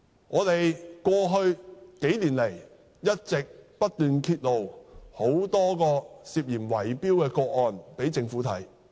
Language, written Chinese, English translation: Cantonese, 過去數年來，我們一直不斷揭露很多宗涉嫌圍標的個案，並促請政府檢視。, Over the past few years we have continuously exposed many cases of alleged bid - rigging activities and urged the Government to look into them